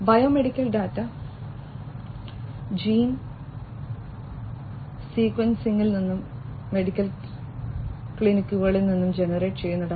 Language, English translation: Malayalam, Biomedical data, data that are generated from gene sequencing, from medical clinics